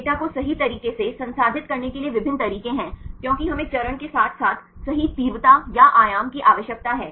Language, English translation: Hindi, There various methods to process this data right, because we need to have the intensity or amplitude right as well as the phase